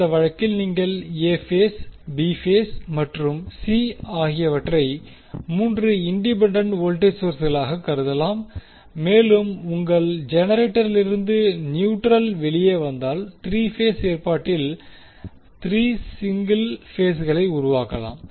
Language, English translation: Tamil, So, in that case you will see that phase A phase, B phase and C can be considered as 3 independent voltage sources and if you have neutral coming out of the generator, so, you can have 3 single phase created out of 3 phase arrangement